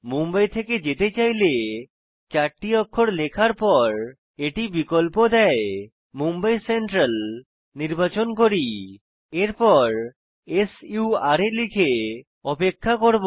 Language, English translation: Bengali, So the moment i type 4 characters it suggest so i want to choose mumbai central SURA let me type 4 characters and wait for it